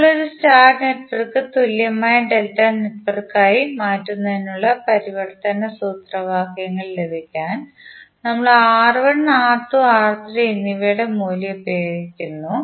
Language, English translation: Malayalam, Now, to obtain the conversion formulas for transforming a star network into an equivalent delta network, we use the value of R1, R2, R3